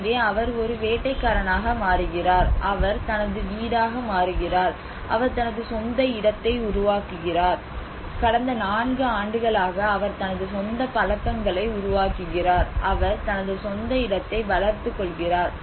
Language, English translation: Tamil, So he becomes a hunter, he becomes his home, he makes his own place, he makes his own habits for the past 4 years he develops his own sense of place